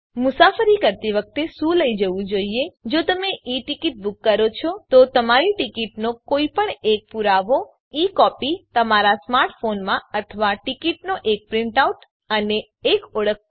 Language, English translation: Gujarati, What to carry during travel ,if you book an E ticket any one proof of your ticket and E copy in your smart phone or a print out of the ticket and an identity card Or take the i ticket